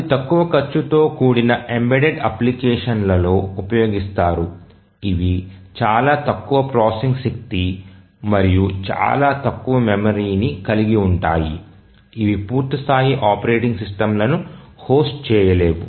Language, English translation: Telugu, So, as we mentioned that these are used in low cost embedded applications having very less processing power and very small memory which cannot host, host full blown, full flaced operating systems